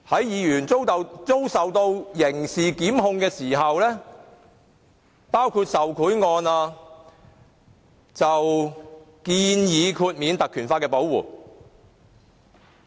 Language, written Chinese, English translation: Cantonese, 議員如遭受刑事檢控，例如涉及受賄案，建議豁免當地特權條例的保護。, It has been suggested that the protection of their privileges by the local legislation be waived if MPs are subject to criminal prosecution in such cases as bribery